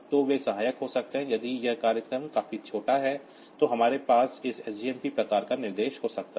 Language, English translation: Hindi, So, they can be helpful if this program is small enough then we can have this SJMP type of instruction